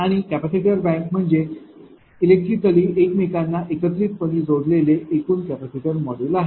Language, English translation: Marathi, And capacitor bank is a total assembly of capacitor modules electrically connected to each other